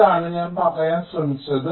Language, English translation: Malayalam, so this is what i was trying to say